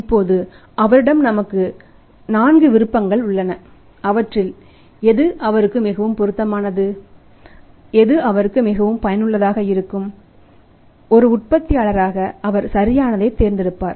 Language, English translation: Tamil, Now he has a four options right he has four options available and which one is more suitable to him, which one is more useful to him, as a manufacturing she would go for that right